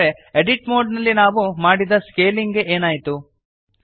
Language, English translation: Kannada, So what happened to the scaling we did in the edit mode